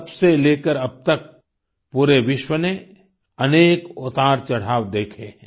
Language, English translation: Hindi, Since then, the entire world has seen several ups and downs